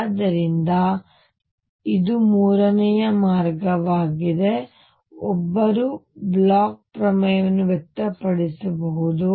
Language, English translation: Kannada, So, this is the third way, one can express Bloch’s theorem